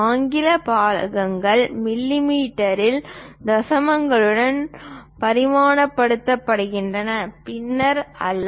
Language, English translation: Tamil, English parts are dimensioned in mm with decimals, not fractions